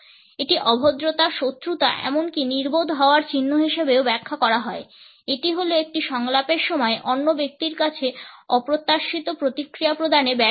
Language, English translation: Bengali, It is also interpreted as a sign of impoliteness, hostility or even dumbness, a failure to provide unexpected response to the other person during a dialogue